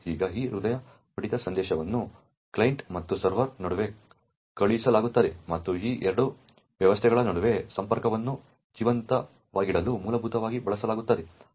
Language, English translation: Kannada, Now, this heartbeat message is sent between the client and the server and essentially used to keep the connection alive between these two systems